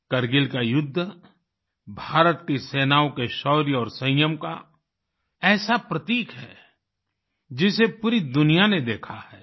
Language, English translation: Hindi, The Kargil war is one symbol of the bravery and patience on part of India's Armed Forces which the whole world has watched